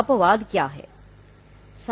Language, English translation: Hindi, What are the exceptions